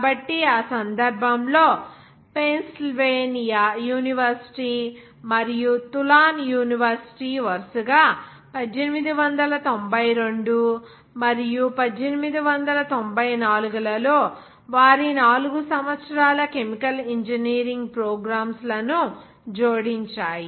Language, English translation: Telugu, So, in that case, the University of Pennsylvania and Tulane University quickly followed sweet adding their 4 years chemical engineering programs in 1892 and 1894, respectively